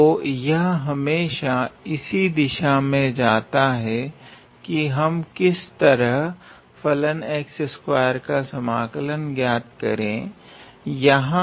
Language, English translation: Hindi, So, it is always goes in a way that how can we find the derivative of this function x square here